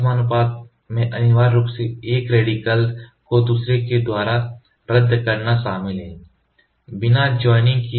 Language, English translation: Hindi, Disproportionation involves essentially the cancellation of one radical by the other, without joining so, disproportionation